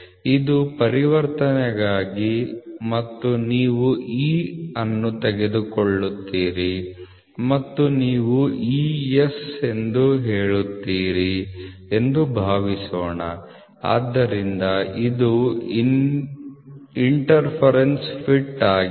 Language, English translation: Kannada, So, this is for transition and this is for suppose you take E and you say E S, so it is an interference fit, ok